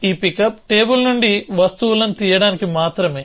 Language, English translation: Telugu, So, this pickup is only for picking up things from the table